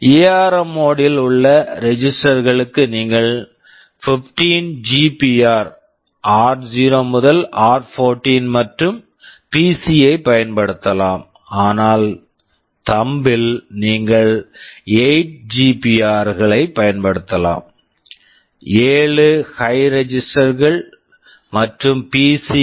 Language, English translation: Tamil, And for registers in ARM mode, you can use the 15 GPR r0 to r14 and the PC, but in Thumb you can use the 8 GPRs, 7 high registers and PC